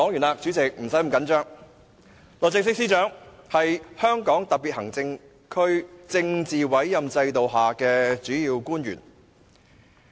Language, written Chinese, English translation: Cantonese, 律政司司長是香港特別行政區政府政治委任制度下的主要官員。, The Secretary for Justice SJ is a principal official under the Political Appointment System of the Hong Kong Special Administrative Region Government